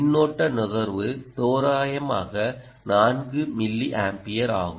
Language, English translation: Tamil, the current consumption is roughly four milliamperes